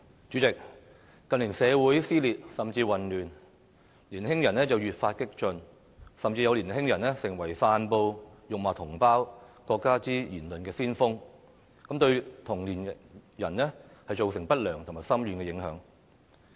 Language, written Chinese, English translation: Cantonese, 主席，近年社會撕裂甚至混亂，年輕人越發激進，甚至有年輕人成為散布辱罵同胞、國家的言論的先鋒，對同齡人造成不良和深遠的影響。, President in recent years society has become divided and even chaotic young people are becoming increasingly radical and some of them have even become forerunners in respect of disseminating remarks that humiliate our fellow compatriots and our country causing adverse and far - reaching impacts on their peers